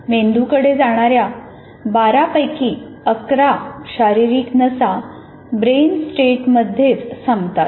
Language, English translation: Marathi, 11 of the 12 body nerves that go to the brain and in brain stem itself